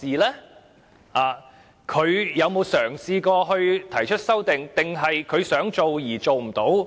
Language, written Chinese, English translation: Cantonese, 他有否嘗試提出修訂，還是他想做而做不到？, Has the Member tried to introduce amendments or did he want to but failed?